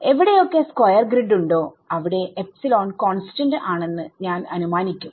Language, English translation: Malayalam, So, wherever there is a square grid I assume the epsilon is constant over there